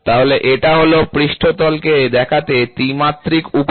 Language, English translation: Bengali, So, this is the 3 dimension way of looking on a surface, right